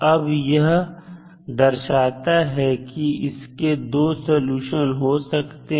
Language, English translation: Hindi, Now, this indicates that there are 2 possible solutions